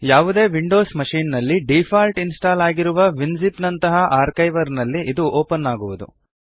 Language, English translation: Kannada, It will open in an archiver like Winzip, which is installed by default on any windows machine